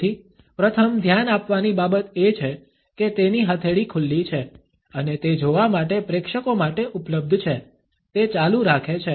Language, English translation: Gujarati, So, first thing to notice is that his palm is open and available for the audience to see from the get go on he continues to do this